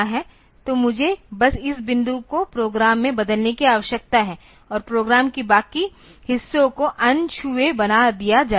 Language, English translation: Hindi, So, I just need to change this point in the program and rest of the program will be made unaltered